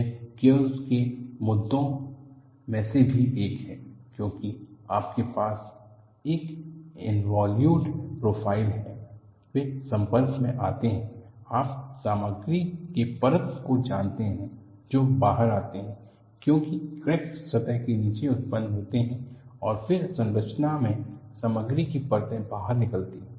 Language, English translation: Hindi, This is one of the issues in gears also, because you have involute profile, that they come in contact, you know flakes of material that come out; because cracks generate below the surface and then flakes of material come out in operation